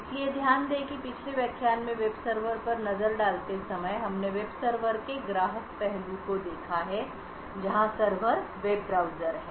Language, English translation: Hindi, So, note that while the previous lecture looked at the web server we look at the client aspect of the web server that is a web browser